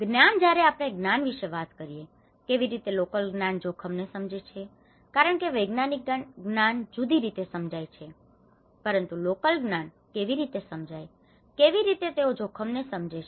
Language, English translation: Gujarati, The knowledge: when we talk about knowledge, how local knowledge understand risk because the scientific knowledge understands in a different way but how the local knowledge have perceived the risk, how they understand the risk